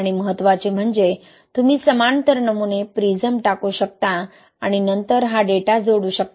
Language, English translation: Marathi, And what is important is then you can cast the parallel samples, the prisms which you do and then add this data, okay